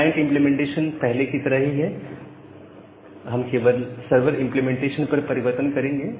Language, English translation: Hindi, The client implementation remains as it was earlier, we will only make change at the server implementation